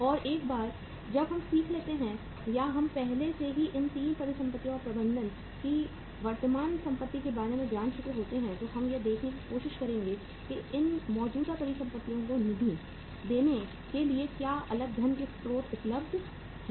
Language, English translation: Hindi, And once we learn or we have already learnt about the these 3 assets management current assets management then we will try to see that to fund these current assets what are the different sources of funds available